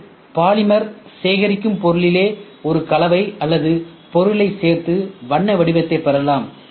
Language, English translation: Tamil, Today polymer when the collect material itself, you have a mixture or you tried to add ingredients such that it gets the color form